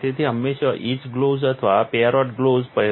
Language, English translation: Gujarati, So always wear to for etch gloves or parrot gloves